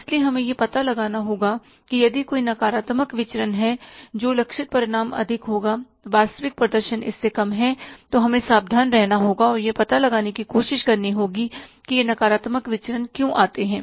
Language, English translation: Hindi, So we will have to find out that yes, if there is a negative variance that the target results were high, actual performance is less than that, then we will have to be careful and try to find out why this negative variance has come up